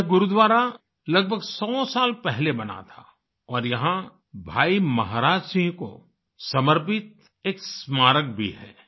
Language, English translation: Hindi, This Gurudwara was built about a hundred years ago and there is also a memorial dedicated to Bhai Maharaj Singh